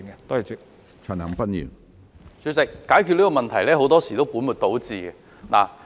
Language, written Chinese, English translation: Cantonese, 主席，政府在解決這個問題時，很多時也會本末倒置。, President in tackling this problem the Government often puts the cart before the horse